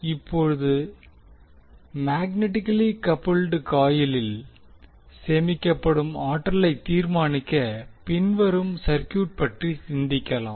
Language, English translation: Tamil, Now, to determine the energy stored in magnetically coupled coil, let us consider the following circuit